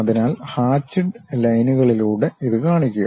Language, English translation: Malayalam, So, show it by hatched lines